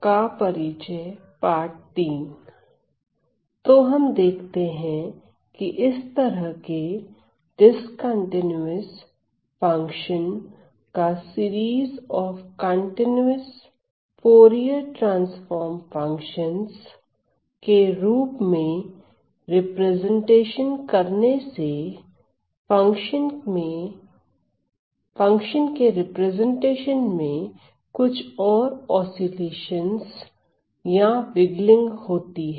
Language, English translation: Hindi, So, what we see is that this sort of a representation of a discontinuous function by a series of continuous Fourier transform functions leads to some oscillations or wiggling in the representation of the function